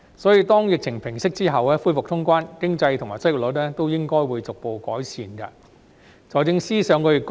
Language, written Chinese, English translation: Cantonese, 因此，當疫情平息，恢復通關後，經濟和失業率都應該會逐步改善。, Therefore our economy and the unemployment rate should both improve gradually when the epidemic subsides and the border is reopened